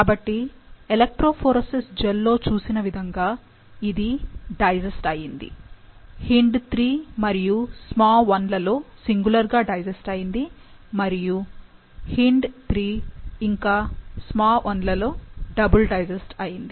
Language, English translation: Telugu, So, as we see in the electrophoretic gel, it has been digested, singly digested with HindIII, SmaI and double digested within HindIII and SmaI